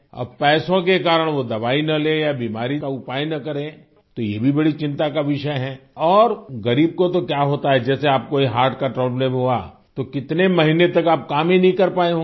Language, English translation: Hindi, Now, because of money they do not take medicine or do not seek the remedy of the disease then it is also a matter of great concern, and what happens to the poor as you've had this heart problem, for many months you would not have been able to work